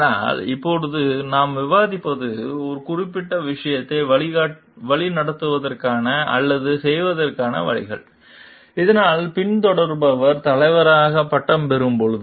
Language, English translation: Tamil, But now, what we will be discussing like, what are the ways of leading or doing particular things, so that when the follower graduates to be the leader